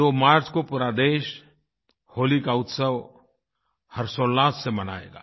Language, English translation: Hindi, On 2nd March the entire country immersed in joy will celebrate the festival of Holi